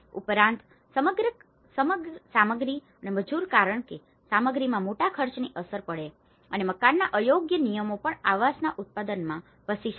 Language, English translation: Gujarati, Also, the materials and labour because materials have a major cost implications and also inappropriate building regulations can inhabit the production of housing